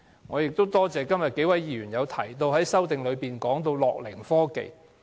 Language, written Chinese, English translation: Cantonese, 我亦多謝數位議員在修正案中提及樂齡科技。, I also thank the several Members who mentioned gerontechnology in their amendments